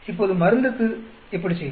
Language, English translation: Tamil, Now, how do we do for the drug